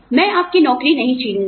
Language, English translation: Hindi, I will not take your job away